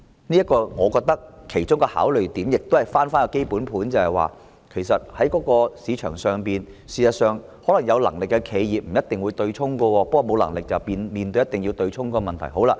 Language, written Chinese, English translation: Cantonese, 我認為其中一個考慮點，也是回到基本盤，便是在市場上有能力的企業其實不一定會對沖的，但沒有能力的企業卻面對一定要對沖的問題。, Back to the basics I think one of the considerations is that offsetting is not necessarily a problem for those capable enterprises in the market but those incapable have no alternative but to face it